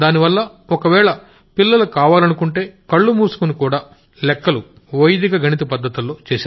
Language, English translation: Telugu, So that if the children want, they can calculate even with their eyes closed by the method of Vedic mathematics